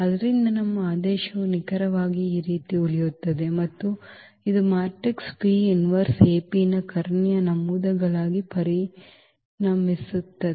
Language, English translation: Kannada, So, our order will remain exactly this one and this will become the diagonal entries of the matrix P inverse AP